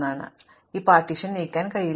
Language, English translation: Malayalam, So, I cannot move this partition